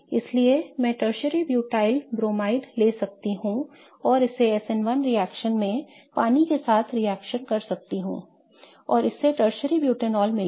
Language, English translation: Hindi, So, I can take tertiary butyl bromide and react it in an SN1 reaction let's say with water and this will give rise to tertiary butinol